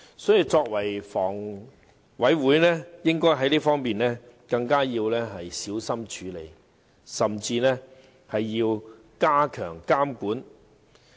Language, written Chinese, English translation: Cantonese, 所以，房委會在此方面應該更小心處理，甚至要加強監管。, Therefore HA should exercise more caution in this respect and even strengthen its monitoring